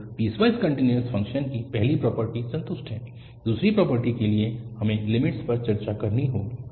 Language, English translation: Hindi, So, the first property of the piecewise continuous function is satisfied, for the second property we have to discuss the limits